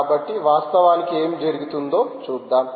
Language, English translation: Telugu, so lets see what actually is happening